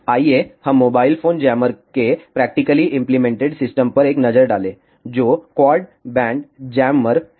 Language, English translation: Hindi, Let us have a look at a practical implemented system of mobile phone jammer, which is quad band jammer